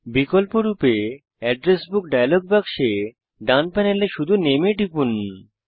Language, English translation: Bengali, Alternately, in the Address Book dialog box, from the right panel, simply click on Name